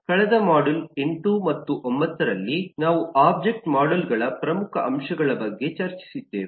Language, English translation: Kannada, In the last modules, 8 and 9, we have been discussing about major elements of object models